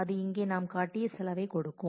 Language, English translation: Tamil, So, that will give us cost that we have shown here